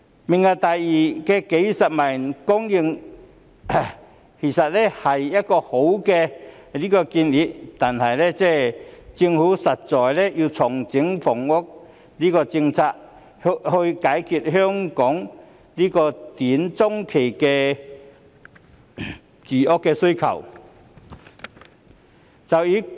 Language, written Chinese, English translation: Cantonese, "明日大嶼願景"計劃供應數十萬個單位，其實是好的建議，但政府實在要重整房屋政策，以解決香港短中期的住屋需求。, Under the Lantau Tomorrow Vision the Government plans to produce several hundreds of thousands of housing units which is actually a good proposal . However the Government must rationalize the housing policy to address the short - and medium - term housing demand in Hong Kong